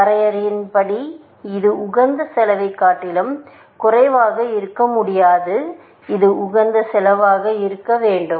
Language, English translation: Tamil, By definition, it cannot be less than optimal cost; it must be the optimal cost